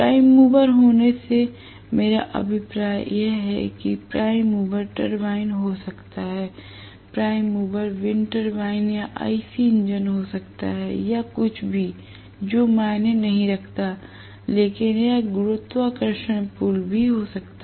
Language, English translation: Hindi, That is what I mean by having a prime mover, the prime mover can be a turbine, the prime mover can be a winter bine or IC engine or whatever does not matter, but it can also be gravitational pull